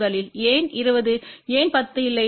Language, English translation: Tamil, First of all why 20, why not 10